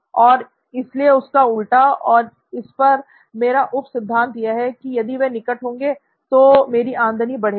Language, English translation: Hindi, And hence the opposite of that, my corollary to that would be if they are nearby, then my revenue is high